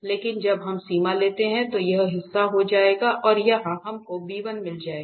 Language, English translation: Hindi, But when we take the limit this portion will become 0 and here we will get just b1